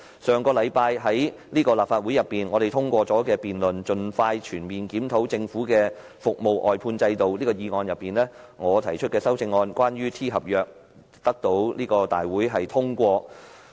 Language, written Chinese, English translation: Cantonese, 上星期立法會通過的"盡快全面檢討政府的服務外判制度"議案，我提出關於 "T 合約"的修正案，獲得立法會通過。, Last week I moved an amendment about T - contract to the motion on Expeditiously conducting a comprehensive review of the Governments service outsourcing system and my amendment was passed by this Council